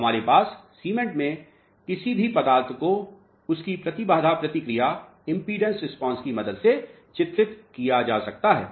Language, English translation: Hindi, So, we have applications in cement any material can be characterized with the help of its impedance response